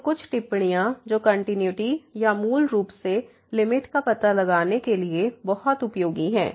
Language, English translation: Hindi, So, some remarks which are very useful for finding out the continuity or basically the limit